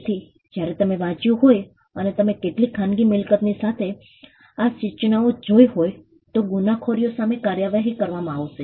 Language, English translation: Gujarati, So, when you would have read you would have seen these notices in front of some private property, trespassers will be prosecuted